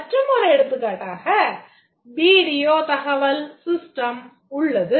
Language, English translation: Tamil, This is a video information system